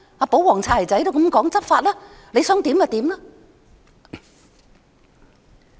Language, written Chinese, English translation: Cantonese, "保皇"、"擦鞋仔"也是這樣說："執法吧，你想怎樣便怎樣。, Likewise the pro - establishment bootlickers say Enforce the law . Do whatever you want